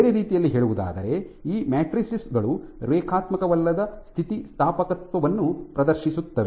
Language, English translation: Kannada, In other words these matrices exhibit non linear elasticity